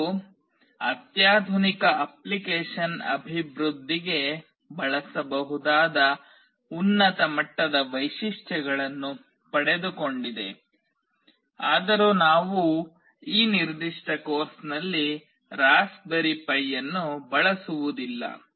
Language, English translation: Kannada, It has got high end features that can be used for sophisticated application development although we will not be using Raspberry Pi in this particular course